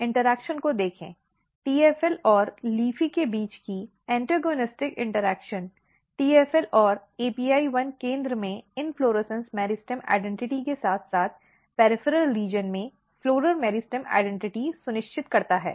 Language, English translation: Hindi, See the interaction between LEAFY, AP1 and TFL, particularly the antagonistic interaction between TFL and LEAFY; TFL and AP1 ensures inflorescence meristem identity in the center as well as floral meristem identity in the peripheral region